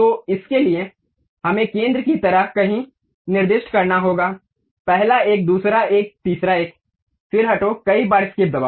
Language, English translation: Hindi, So, for that we have to specify somewhere like center, first one, second one, third one, then move, press escape several times